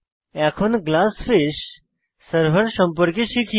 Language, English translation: Bengali, Now, let us learn something about Glassfish server